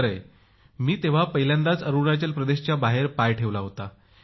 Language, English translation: Marathi, Yes, I had gone out of Arunachal for the first time